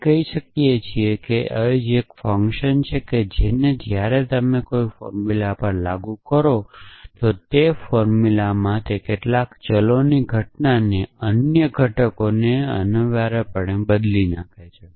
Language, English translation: Gujarati, So, we are saying the substitution is a function which when you applied to any formula, then it replaces some occurrences of variables in that formula with other occurrences essentially